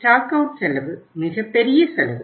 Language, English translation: Tamil, So stock out cost is a very big cost